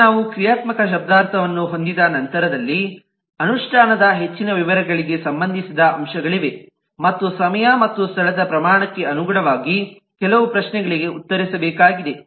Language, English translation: Kannada, now, once we have the functional semantics, then there are factors relating to more details of implementation, and some of the questions that need to be answered is in terms of amount of time and amount of space